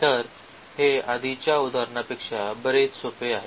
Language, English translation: Marathi, So, this is much simpler than the earlier examples